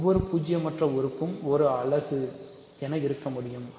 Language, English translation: Tamil, Every non zero element can be a unit